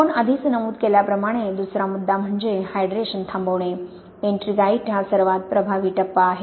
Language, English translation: Marathi, The second point as we already mentioned is the stoppage of hydration, ettringite is the most effective phase